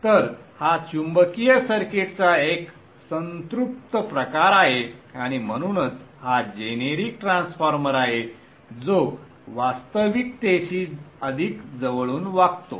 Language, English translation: Marathi, So this is a saturating type of a magnetic circuit and therefore this transformer is a generic transformer which behaves much more closer to reality